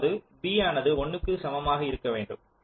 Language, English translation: Tamil, that means b must be equal to one